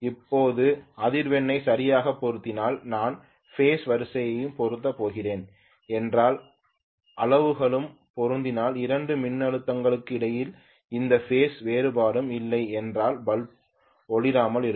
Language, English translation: Tamil, Now if the frequencies are exactly matching and if I am going to have the phase sequence also matching and if the magnitudes are also matching and if there are no phase difference between the two voltages, I will have the bulbs not glowing at all, I hope you understand